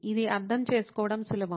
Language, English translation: Telugu, This is easy to understand